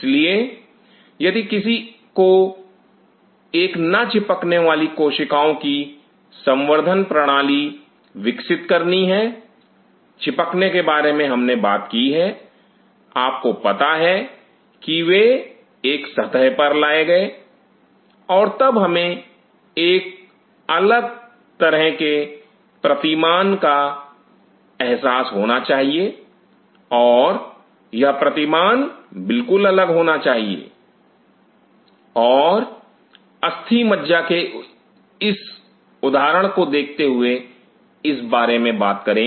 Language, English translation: Hindi, So, if one has to develop a culture system for non adhering cells, adhering we have talked about you know they has taken to a surface and then we have to have a different kind of paradigm realize and this paradigm has to be totally different and talking about this while sighting this example of a bone marrow